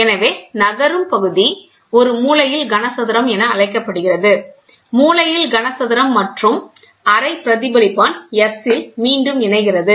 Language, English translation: Tamil, So, corner cube so, the moving unit is called as a corner cube, by the corner cube and recombines at the semi reflector S